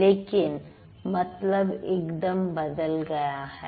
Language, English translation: Hindi, So, the meaning completely changes